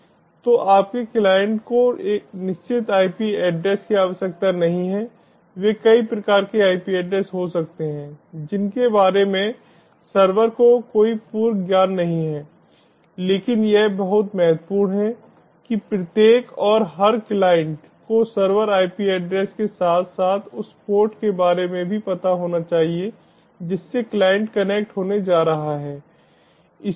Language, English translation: Hindi, may be they can have a variety of ip addresses, about which the server has no prior knowledge, but it is very important that each and every client should be aware of the servers ip address as well as the port to which the client is going to connect